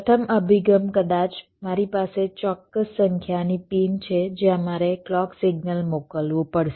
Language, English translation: Gujarati, maybe, like i have a certain number of pins where i have to send the clock signal